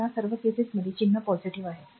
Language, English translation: Marathi, So, all these cases sign is positive